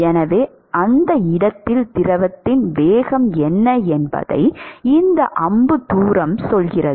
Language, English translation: Tamil, So, this arrow distance tells you what is the velocity of the fluid at that location